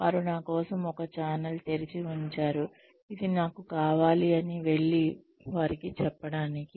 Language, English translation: Telugu, They have kept a channel open for me, to go and tell them that, this is what I want